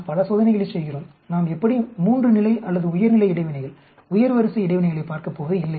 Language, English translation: Tamil, We are doing too many experiments and we are not going to anyway look at three level or higher level interactions, higher order interactions that mean we are doing too many experiments